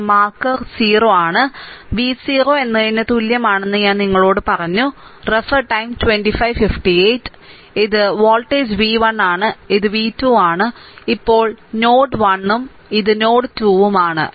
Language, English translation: Malayalam, This is marker o, and I told you that v 0 is equal to this is your voltage v 1, this is v 2, now act node 1, this is your node 1 and this is your node 2